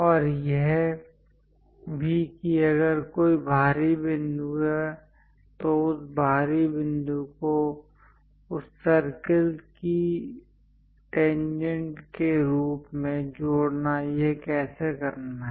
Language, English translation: Hindi, And also if an exterior point is there, connecting that exterior point as a tangent to that circle, how to do that